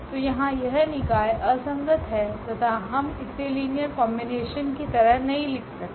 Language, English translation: Hindi, So, here the system is inconsistent and we cannot write down this as linear combination given there